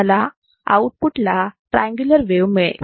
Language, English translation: Marathi, I will get the triangular wave at the output